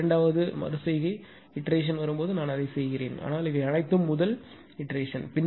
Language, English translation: Tamil, When second iteration will come I will do that but these are all first iteration right